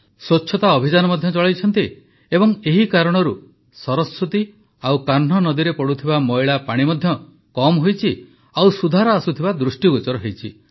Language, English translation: Odia, A Cleanliness campaign has also been started and due to this the polluted water draining in the Saraswati and Kanh rivers has also reduced considerably and an improvement is visible